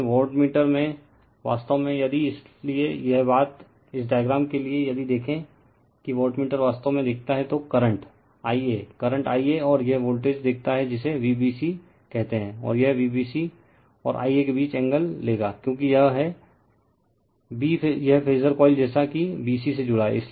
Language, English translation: Hindi, But wattmeter actually, , if therefore, your , this thing , for this diagram if you look into that wattmeter sees actually , that current current I a , current I a and it is , sees the voltage your what you call V b c , and it will take angle between V b c and I a right, because it is , b this phasor coil as connected at b c